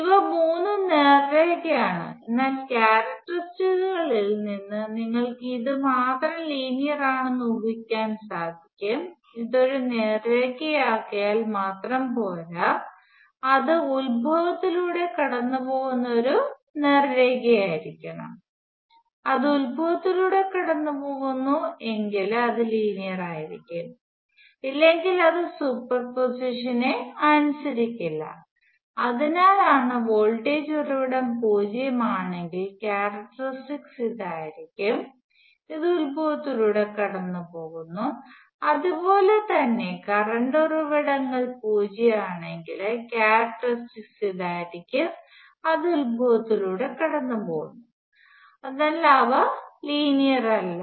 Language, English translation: Malayalam, All these three are to the straight lines, but only this one is linear that you can guess from the characteristics also, it is not enough for it to be a straight line, but it has to be a straight line passing through the origin, it passes to through origin its linear characteristics; if it is not, it is not, it would not superposition, so that is why also said if the voltage source happens to a zero valued, the characteristics would be this, which passes through the origin; and similarly if the current sources zero valued characteristics would be this which passes through the origin, so otherwise they are not linear